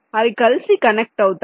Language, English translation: Telugu, they connected right now